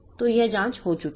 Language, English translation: Hindi, So, those checks are done